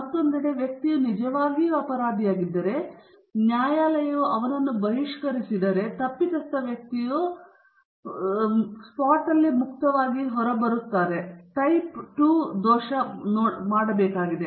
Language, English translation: Kannada, On the other hand, if the person is really guilty, but if the court exonerates him, then the guilty person is getting away scot free, and type II error is supposed to be made